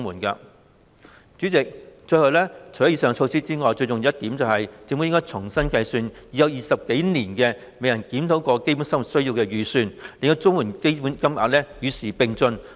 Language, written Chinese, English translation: Cantonese, 代理主席，除了上述措施外，最重要的一點是，政府應重新計算已有20多年未作檢討的"基本生活需要預算"，令綜援標準金額與時並進。, Deputy President apart from the aforementioned measures the most important point is that the Government should calculate anew the Basic Needs budget which has not been reviewed for more than two decades so that the standard rates of CSSA can keep abreast of the times